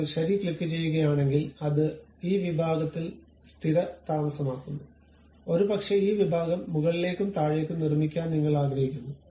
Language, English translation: Malayalam, If I click Ok it settles at this section, perhaps I would like to really make this section up and down